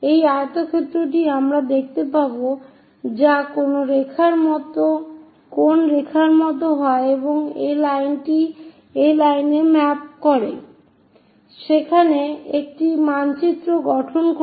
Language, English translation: Bengali, So, this rectangle we will see which goes like a line and this line maps to this line so, maps there